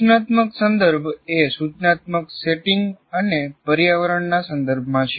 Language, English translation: Gujarati, So an instructional context refers to the instructional setting and environment